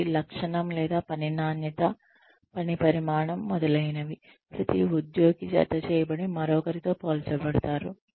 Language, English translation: Telugu, For, every trait or quality of work, quantity of work, etcetera, every employee is paired and compared with another